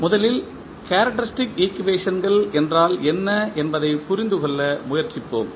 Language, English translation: Tamil, First let us try to understand what is characteristic equations